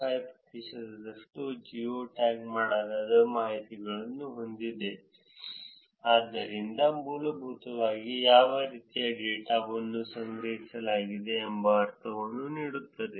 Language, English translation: Kannada, 5 percent had geo tagged information in it, so that basically gives you a sense of what kind of data is collected